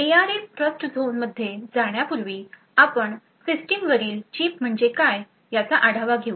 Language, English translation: Marathi, Before we go into the ARM Trustzone we will take a look at what the System on Chip means